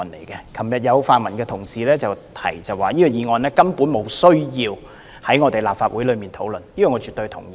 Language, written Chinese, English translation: Cantonese, 昨天有泛民同事指出，這項議案根本沒有需要在立法會討論，這點我絕對同意。, Yesterday pan - democratic Members pointed out that it was utterly unnecessary to discuss this motion in the Legislative Council and I absolutely agree with them